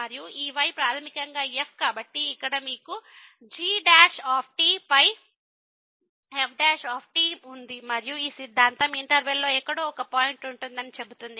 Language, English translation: Telugu, And, this is basically the , so, here you have the over and this theorem says that there will be a point somewhere in the interval